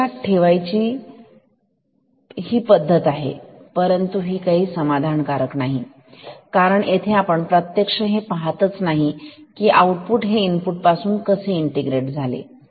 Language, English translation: Marathi, So, this is one way to remember it, but this is not quite satisfactory, because physically we cannot see how the output is going to integrate this input